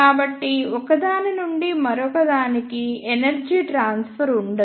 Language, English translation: Telugu, So, there will be no energy transfer from one to another